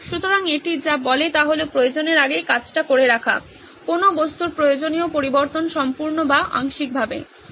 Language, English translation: Bengali, So what it says is that perform before it is needed, the required change of an object either fully or partially